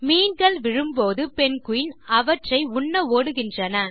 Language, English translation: Tamil, Then, as the fish falls, the penguin runs to eat them